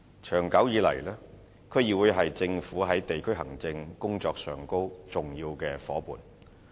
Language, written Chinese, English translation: Cantonese, 長久以來，區議會是政府在地區行政工作上的重要夥伴。, For a long time District Councils DCs have been an important partner of the Government in district administration